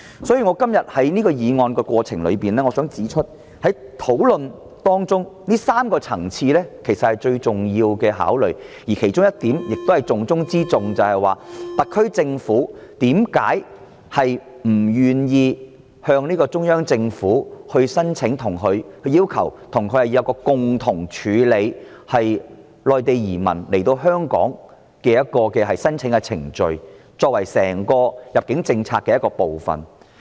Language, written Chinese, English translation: Cantonese, 所以，在今天這項議案辯論的過程中，我想指出，這3個層次的問題是最重要的考慮，而其中一點，亦是重中之重的一點，就是特區政府為何不願意向中央政府提出要求，爭取共同處理內地移民來香港定居的申請程序，作為整個入境政策的一部分。, Hence in the course of this motion debate today I would like to highlight that the questions of these three levels are the highly important considerations and among them the question of the greatest importance is Why is the SAR Government not willing to make a request to the Central Government striving to be involved in dealing with the applications of settling in Hong Kong by Mainlanders as part of the entire admission policy?